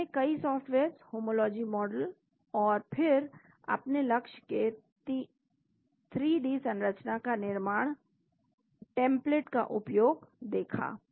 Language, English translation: Hindi, So, we have seen many softwares, homology models and then building your target 3D structure, making use of the template